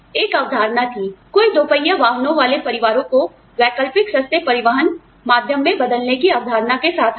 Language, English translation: Hindi, A concept was, you know, somebody came out with the concept of, replacing families on two wheelers, with an alternative affordable method of transport